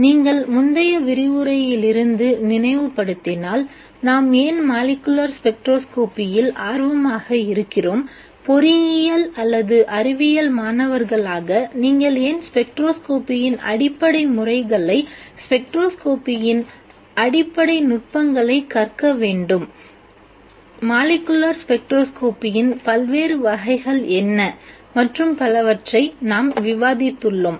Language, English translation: Tamil, If you recall from the previous lecture, we discussed why we are interested in molecular spectroscopy, why as engineering or science students you must learn the basic methods in spectroscopy, basic techniques in spectroscopy, what are the various types of molecular spectroscopy and so on